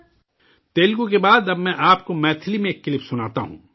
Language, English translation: Urdu, After Telugu, I will now make you listen to a clip in Maithili